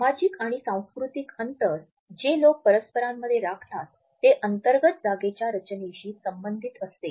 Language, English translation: Marathi, So, social and cultural distances which people maintain are interrelated with interior designs